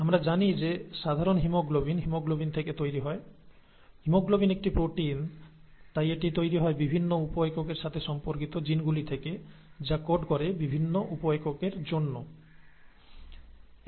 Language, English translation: Bengali, We know that normal haemoglobin is made from the haemoglobin, haemoglobin is a protein, therefore it is made from the genes that correspond to the various sub units, that code for the various sub units